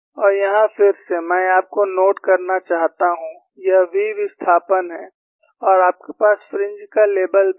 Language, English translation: Hindi, And here again, I want you to note down, this is the v displacement, and you also have labeling of fringes